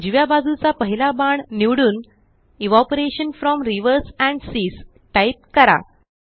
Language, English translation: Marathi, Select the first arrow to the right and simply type Evaporation from rivers and seas